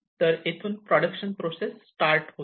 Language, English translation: Marathi, So, the production process starts from here